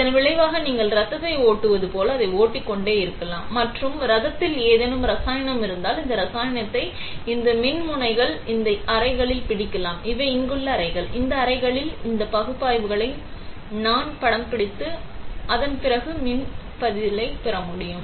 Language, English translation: Tamil, As a result you can keep flowing it, like you can flow blood; and if the blood contains let us say some chemical, you can capture that chemical in these electrodes, in this chambers; these are chambers here, I can capture these analytes in this chambers and then seize there electrical response